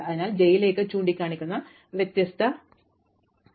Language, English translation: Malayalam, So, this pointing into j will come in different list